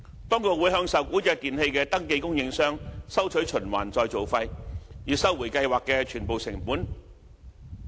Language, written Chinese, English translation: Cantonese, 當局會向受管制電器的登記供應商收取循環再造費，以收回計劃的全部成本。, A registered supplier will then be required to pay recycling levies for full cost recovery